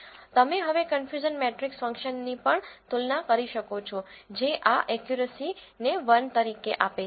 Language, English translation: Gujarati, You can also compare now the confusion matrix functions also giving this accuracy as 1